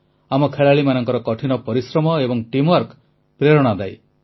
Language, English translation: Odia, The hard work and teamwork of our players is inspirational